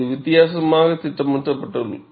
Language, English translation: Tamil, It is plotted differently